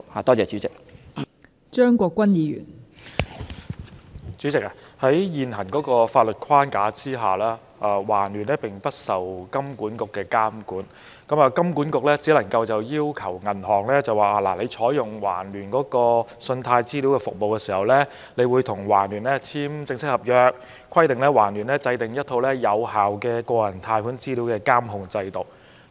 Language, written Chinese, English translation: Cantonese, 代理主席，在現行的法律框架下，環聯並不受金管局的監管，金管局只能要求銀行在採用環聯信貸資料服務時，與其簽署正式合約，規定對方制訂一套有效的個人貸款資料監控制度。, Deputy President under the current legal framework TransUnion is not subject to the supervision of HKMA which can only require banks to enter into formal contractual agreements with TransUnion in using its service requiring it to formulate effective personal credit data control systems